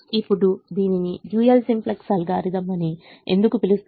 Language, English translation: Telugu, now why is it called dual simplex algorithm